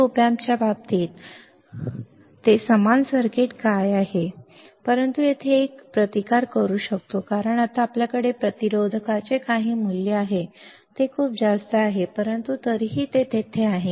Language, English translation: Marathi, But in case of actual op amp, in case of actual op amp, what it will be same circuit, but here we can put a resistance because now we have some value of resistor it is very high, but still it is there